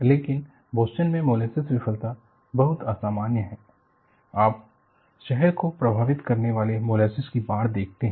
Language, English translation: Hindi, But in Boston molasses failure, very unusual, you see a flood of molasses affecting the city